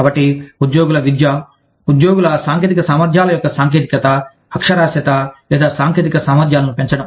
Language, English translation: Telugu, So, education of employees, enhancing the technology, literacy, or technology capabilities, of the employees